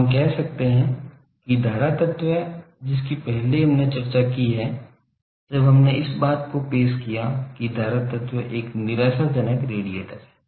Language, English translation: Hindi, So, we can say that current element earlier we have discussed, when we introduced the thing that current element is a hopeless radiator